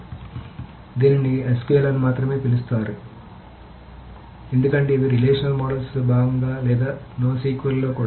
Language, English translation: Telugu, So that is why it is called not only SQL because these are part of the relational models are also no SQL